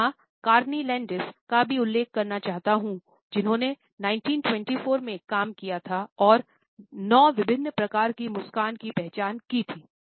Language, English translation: Hindi, Here I would also like to mention Carney Landis, who had worked in 1924 and had identified 9 different types of a smiles